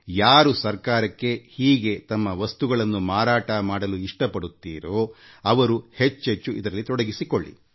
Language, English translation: Kannada, I would certainly like that whoever wishes to sell their products or business items to the government, should increasingly get connected with this website